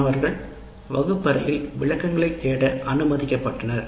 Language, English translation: Tamil, Students are free to seek clarifications in the classroom